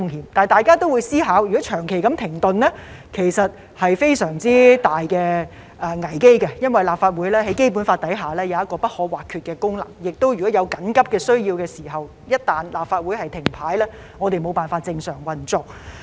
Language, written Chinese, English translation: Cantonese, 可是，大家也會思考，如果會議長期停頓，其實是非常大的危機，因為立法會在《基本法》下有不可或缺的功能，而且在有緊急需要時，立法會一旦停擺，我們便無法正常運作。, However we all think that the prolonged suspension of meetings will in fact be a huge crisis because the Legislative Council has indispensable functions under the Basic Law and in case of emergency the Council will be unable to operate normally if it has come to a standstill